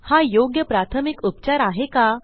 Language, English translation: Marathi, Was it the right first aid